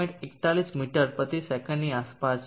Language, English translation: Gujarati, 41 meters per second 0